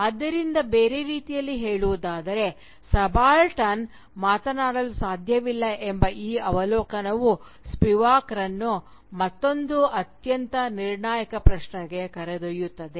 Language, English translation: Kannada, So, in other words, this observation that the Subaltern cannot speak leads Spivak to another very critical and very crucial question